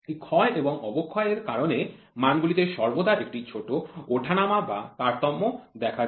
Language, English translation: Bengali, Because of this wear and tear there is always a small fluctuation or variation in the values